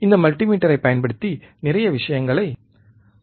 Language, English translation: Tamil, And we have measure a lot of things using this multimeter